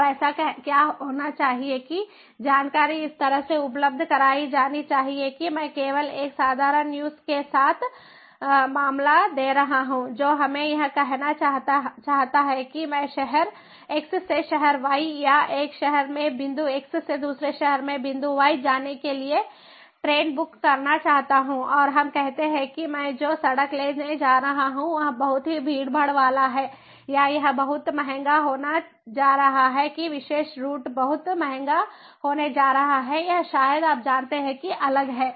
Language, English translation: Hindi, now what should happen is that the information should be made available in such a way i am just giving a simple use case that let us say that i want to book a train from city x to city y or point x in a city to point y in a city, and let us say that the road that i am going to take is going to be very much congested or it is going to be, ah, very expensive